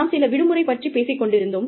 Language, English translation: Tamil, We were talking about, some time off